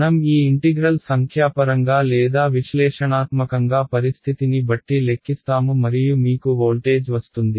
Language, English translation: Telugu, I will calculate this integral numerically or analytically depending on the situation and I will get voltage